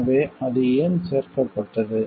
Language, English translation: Tamil, So, why it got included